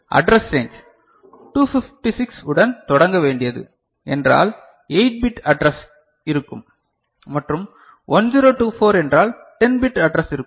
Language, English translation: Tamil, So, address range; so which was to start with 256 means 8 bit address was there and 1024 means 10 bit address will be there